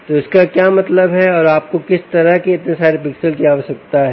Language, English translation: Hindi, why do you need so many pixels